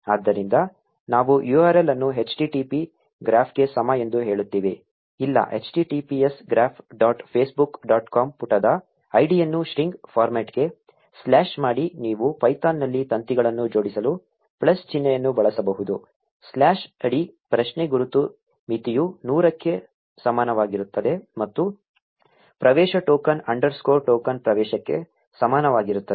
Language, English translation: Kannada, So, we say URL is equal to http graph, no, https graph dot facebook dot com slash the page id converted into string format you can simply use plus sign to concatenate strings in python slash feet question mark limit is equal to one hundred and access token is equal to access underscore token